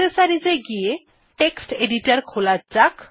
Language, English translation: Bengali, In accessories, lets open Text Editor